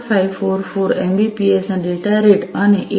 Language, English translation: Gujarati, 544 Mbps and 8